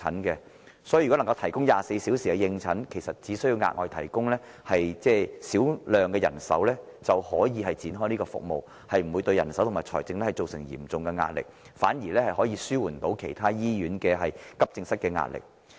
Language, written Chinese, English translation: Cantonese, 所以，如果能夠提供24小時的應診服務，只需額外提供少量人手便能展開這項服務，不會對人手或財政造成嚴重壓力，反而能紓緩其他醫院急症室的壓力。, Therefore if 24 - hour consultation services are feasible such services can be launched with the provision of only a little extra manpower without exerting any serious pressure on manpower or finance . On the contrary the pressure on the AE departments of other hospitals can be ameliorated